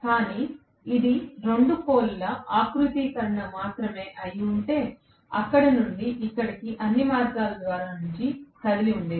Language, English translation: Telugu, But, if it had been a 2 pole configuration only, then it would have moved from all the way from here to here